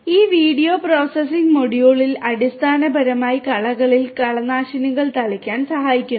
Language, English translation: Malayalam, And this video processing module basically helps in this spraying of the weedicides on the weeds